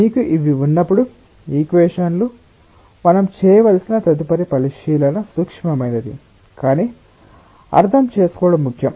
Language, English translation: Telugu, when you have these equations, the next consideration that we have to make is something which is subtle but important to understand